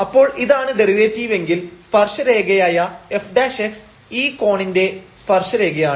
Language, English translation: Malayalam, So, if this is the derivative so, the tangent f prime x is nothing, but the tangent of this angle